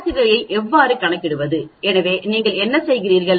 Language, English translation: Tamil, How do you calculate averages, so what do you do